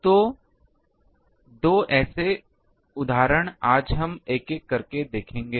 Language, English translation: Hindi, So, the 2 such examples today we will see one by one